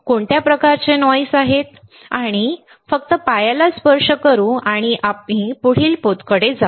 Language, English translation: Marathi, What are kind of noise we will just touch the base and we will move to the next texture